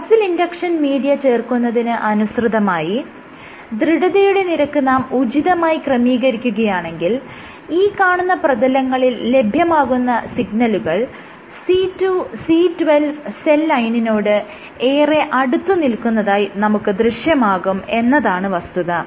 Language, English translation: Malayalam, And when you add muscle induction media together with the appropriate stiffness, what you see is on these surfaces, your signal is very close to that of a C2C12 cell line